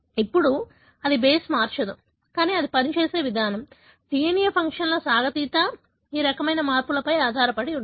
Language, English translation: Telugu, Now, it can, it does not change the base, but the way it functions, that stretch of the DNA functions, depends on this kind of modifications